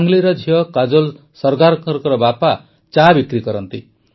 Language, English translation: Odia, Sangli's daughter Kajol Sargar's father works as a tea vendor